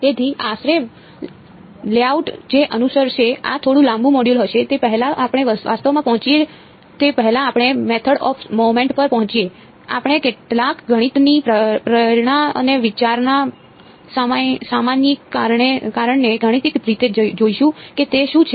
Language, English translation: Gujarati, So roughly the layout that will follow, this is going to be a slightly lengthy module is before we get to actually before we get to the method of moments, we will look at some math motivation and generalization of the idea mathematically what it is